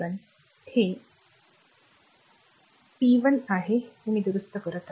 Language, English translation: Marathi, So, this is p 1 I have corrected that